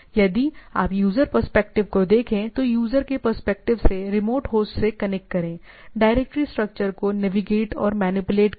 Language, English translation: Hindi, So, what is the user perspective connect to the remote host, navigate and manipulate the directory structure right